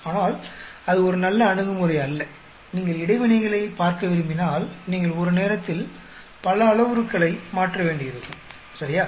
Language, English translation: Tamil, But then that is not a very good approach, if you want to look at interactions you may have to change many parameters at a time, correct